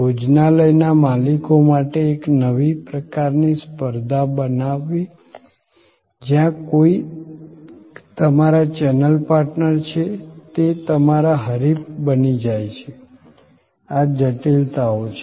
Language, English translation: Gujarati, Creating a new kind of competition for the restaurant owners, where somebody who is your channel partner in a way also becomes your competitor, these are complexities